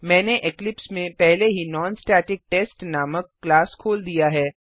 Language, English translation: Hindi, I have already opened a class named NonStaticTest in Eclipse